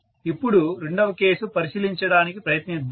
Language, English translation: Telugu, The second case now let us try to take a look